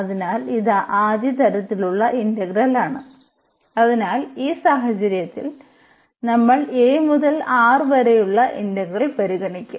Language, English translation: Malayalam, So, in this case what we will consider, we will consider the integral a to R